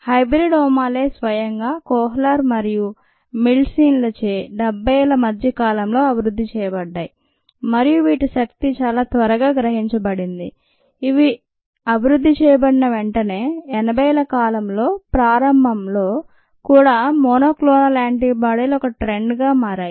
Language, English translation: Telugu, the ah hybridomas themselves were developed in the mid seventies by kohler and milstein, and its potential was ah realized quite soon as soon as it was developed and ah monoclonal antibodies became a rates